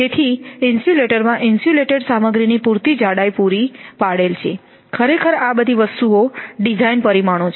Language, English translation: Gujarati, So it will sufficient thickness of insulin insulated material is used of course, these are all design thing design parameters rather